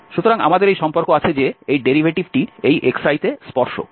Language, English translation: Bengali, So, we have this relation that the derivative, the tangent at this xi